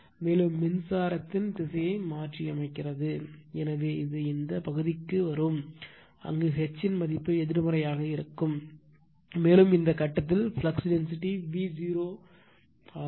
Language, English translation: Tamil, Further we are reversing the direction of the current, so it will come to this portion, where you will get H value will be negative, and you will find your flux density B at this point is 0 right